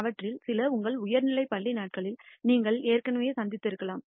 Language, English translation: Tamil, Some of it you might have already encountered in your high school days